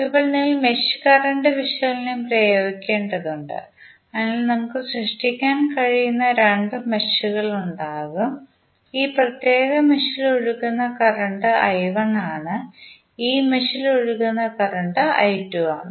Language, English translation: Malayalam, Now, we have to apply mesh current analysis, so we will have essentially two meshes which we can create say let us say that in this particular mesh current is flowing as I 1, in this mesh current is flowing as I 2